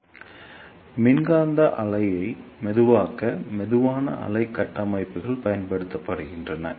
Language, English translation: Tamil, So, slow wave structures are used to slow down the electromagnetic wave